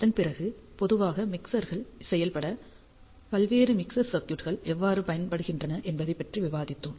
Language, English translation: Tamil, Now, after that ah we discussed various mixer circuits which are commonly used to implement mixers